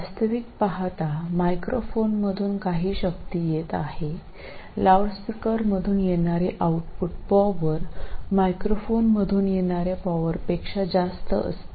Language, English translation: Marathi, So the output power that goes into the loudspeaker is more than what comes in from the microphone